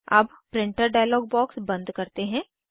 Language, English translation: Hindi, Lets close the Printer dialog box